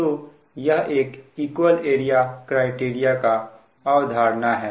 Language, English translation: Hindi, this is that your philosophy of equal area criterion